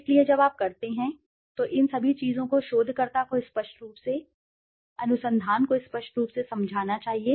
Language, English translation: Hindi, So all these things together when you do, the researcher should clearly, clearly explain it to the research